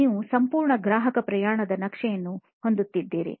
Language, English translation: Kannada, You will have a complete customer journey map